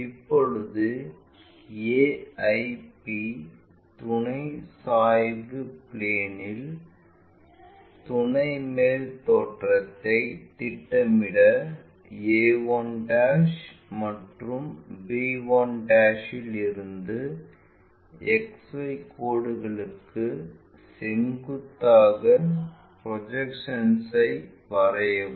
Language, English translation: Tamil, Now, to project auxiliary top view on to AIP, auxiliary incline plane draw projections from a 1' and b 1' perpendicular to X Y lines